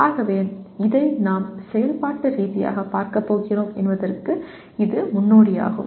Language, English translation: Tamil, So that is the prelude to what we are operationally going to look to at this